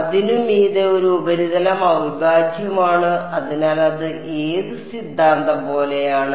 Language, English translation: Malayalam, And a surface integral over it, so that is like which theorem